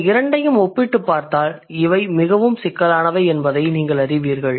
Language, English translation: Tamil, If you compare these two, then you would see that these are so complex